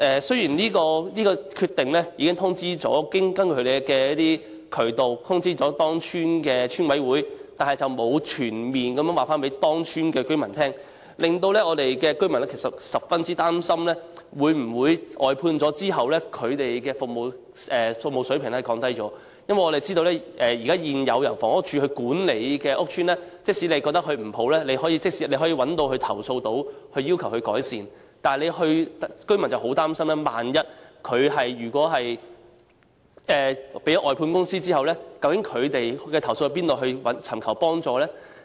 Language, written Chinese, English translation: Cantonese, 雖然這決定已透過有關渠道通知該屋邨的邨委會，但並沒有全面通知該屋邨的居民，居民十分擔心在工作外判後，有關的服務水平會否降低，因為大家也知道，在現時由房署管理的屋邨，假如居民認為服務差劣，也有渠道作出投訴和要求改善；但是，居民十分擔心萬一服務外判後，他們可如何投訴和尋求幫助呢？, Although the estate management committee was informed of this decision through the relevant channels the residents of the estate were not fully informed . The residents feel gravely concerned about a lower standard of services after outsourcing . As we all know in housing estates under the management of HD there are still channels for residents to lodge complaints about and demand improvement of services which they consider to be of a poor standard but they are gravely worried about how they can lodge complaints and seek assistance once the services are outsourced